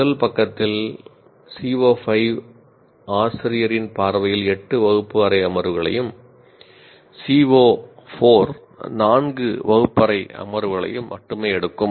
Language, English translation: Tamil, See right in the first page itself, we have seen the CO5 takes eight classroom sessions in the view of the teacher, whereas CO4 takes only four sessions